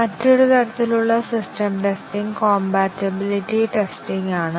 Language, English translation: Malayalam, Another type of system testing is the compatibility testing